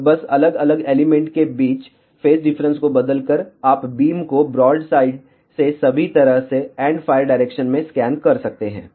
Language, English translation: Hindi, And just by changing the phase difference between the different element, you can scan the beam from broadside to all the way to the endfire direction